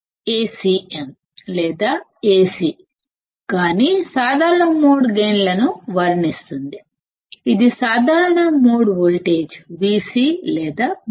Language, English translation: Telugu, Either A cm or Ac depicts common mode gain; this is common mode voltage; Vc or Vcm